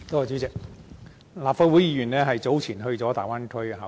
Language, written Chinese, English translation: Cantonese, 主席，立法會議員早前到大灣區考察。, President Members of the Legislative Council earlier paid a fact - finding visit to the Bay Area